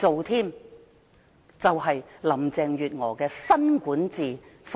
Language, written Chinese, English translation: Cantonese, 這就是林鄭月娥的新管治風格。, This is the new governance style of Carrie LAM